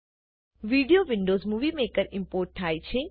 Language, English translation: Gujarati, The video is being imported into Windows Movie Maker